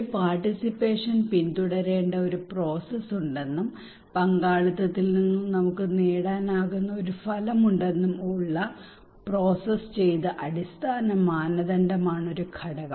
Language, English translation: Malayalam, One component is the processed base criteria that there is a process that a participation should follow and there is an outcome that we can get from participations